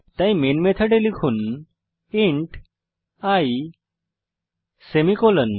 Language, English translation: Bengali, So Inside the main function, type int i semicolon